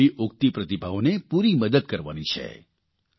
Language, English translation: Gujarati, We have to fully help such emerging talents